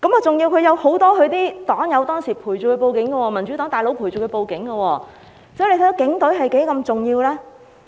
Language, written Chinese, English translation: Cantonese, 再者，很多他的黨友當時陪伴他去報案，民主黨的"大佬"也陪伴他，看看警隊是多麼重要？, Furthermore many of his party comrades accompanied him to report the case back then and the bigwigs of the Democratic Party accompanied him as well . Can you see how important the Police Force is?